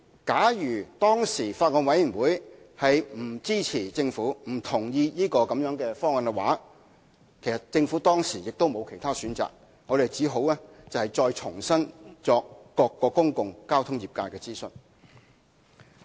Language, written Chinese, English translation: Cantonese, 假如當時法案委員會不支持政府或不同意這方案，政府亦別無選擇，唯有重新再向各個公共交通業界進行諮詢。, Had the Bills Committee opposed the proposal or disagreed with the Government the Government would have had no alternative but to once again consult various public transport trades